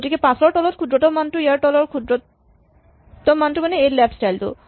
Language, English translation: Assamese, So, the minimum value below 5 is the minimum value below it is left child